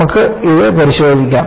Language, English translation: Malayalam, We can have a look at this